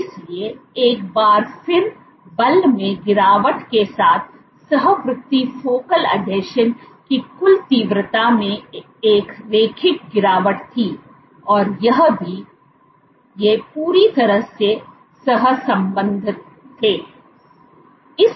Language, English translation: Hindi, So, once again concomitant with drop in force there was a linear drop in the total intensity of the focal adhesion and also, these were correlated perfectly correlated